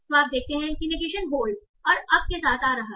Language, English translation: Hindi, So you see the negation is coming up with hold and up also